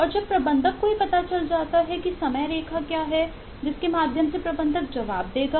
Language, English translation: Hindi, and when the manager gets to know it, what is the timeline through which within which the manager will respond